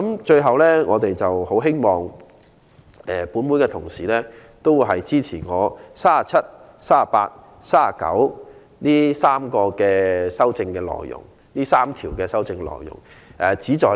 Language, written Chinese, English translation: Cantonese, 最後，我們很希望本會同事支持我就《條例草案》第37、38及39條提出的修正案。, Lastly we very much hope that Honourable colleagues in this Council will support my amendments on clauses 37 38 and 39 of the Bill